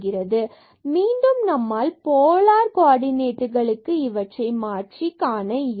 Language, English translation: Tamil, So, again we can see by changing to the polar coordinate also